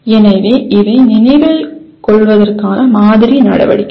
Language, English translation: Tamil, So these are the sample activities for remember